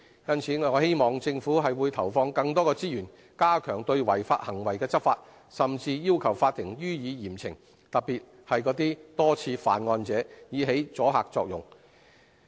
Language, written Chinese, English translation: Cantonese, 因此，我希望政府會投放更多資源，加強對違法行為執法，甚至要求法庭予以嚴懲，特別是那些多次犯案者，以起阻嚇作用。, I therefore hope that more resources will be devoted by the Government to step up enforcement actions against illegal practices and offenders will be given severe punishments by the court to achieve the necessary deterrent effect